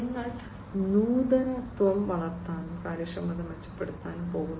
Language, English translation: Malayalam, You are going to foster innovation, and improve upon the efficiency